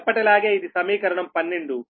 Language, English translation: Telugu, this is equation twelve